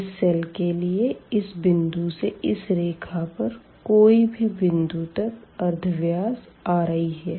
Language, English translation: Hindi, So, for this cell we have the radius from here to this point or any point on this line here it is r i